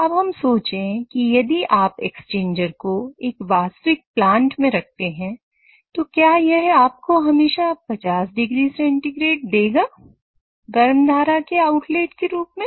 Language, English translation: Hindi, Now let us think that if you put that exchanger in real plant would it always give me 50 degrees Celsius as the outlet of the hot stream